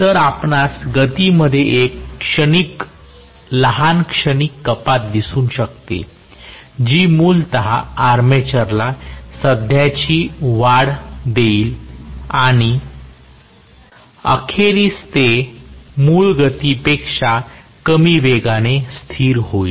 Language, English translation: Marathi, So, you may see a small transient reduction in the speed that will essentially make the armature current increase and ultimately it will settle down at a speed which is less than the original speed